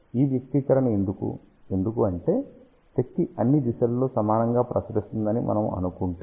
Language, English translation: Telugu, Why this expression because if we assume that power is radiated equally in all the direction